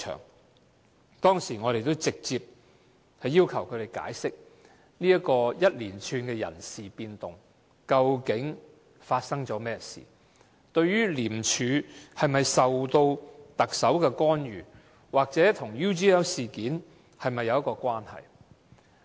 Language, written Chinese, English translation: Cantonese, 我們當時直接要求他們解釋這一連串人事變動，究竟發生了甚麼事情？廉署是否受到特首干預，或人事變動跟 UGL 事件有否關係？, At that time we directly asked them to explain this series of personnel changes what had really happened whether the Chief Executive had interfered with the affairs of ICAC or whether the personnel changes were connected with the UGL incident